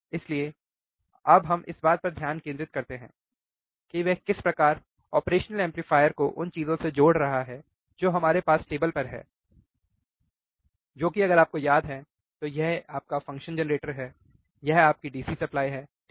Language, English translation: Hindi, So, now we focus how he is connecting the operational amplifier with the things that we have on the table which is our if you remember, what is this is your function generator, this is your DC supply, right